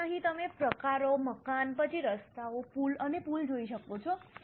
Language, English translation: Gujarati, So, here you can see the types, building, then roads, bridges and culverts